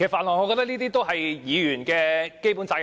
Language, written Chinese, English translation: Cantonese, 我覺得這也是議員的基本責任。, I think that is one of the basic duties of Members